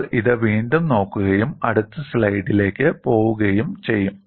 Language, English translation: Malayalam, We will again look it up, and then go to the next slide